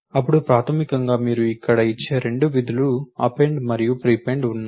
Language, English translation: Telugu, Then there is the basically there are two functions append and prepend which you give here